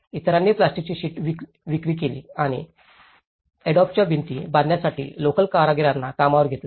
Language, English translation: Marathi, Others sold a plastic sheeting and hired the local artisans to build adobe walls